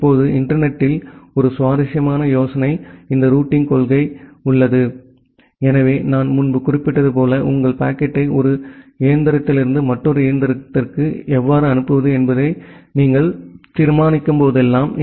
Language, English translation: Tamil, Now in internet one interesting idea is this routing policy, that so, as I have mentioned earlier that whenever you are deciding about how to forward your packet from one machine to another machine